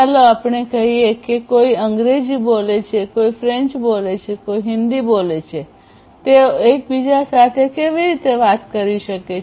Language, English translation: Gujarati, Let us say, that somebody speaks you know analogously that somebody speaks English, somebody speaks French, somebody speaks Hindi; how they can talk to each other